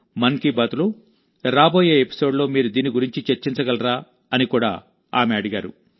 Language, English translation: Telugu, She's also asked if you could discuss this in the upcoming episode of 'Mann Ki Baat'